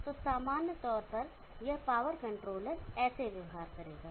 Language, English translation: Hindi, So this is in general how this power controller will behave